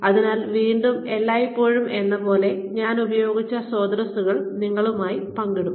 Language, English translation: Malayalam, So again, as always, I will share the sources, I have used with you